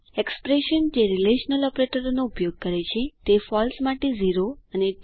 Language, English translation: Gujarati, Expressions using relational operators return 0 for false and 1 for true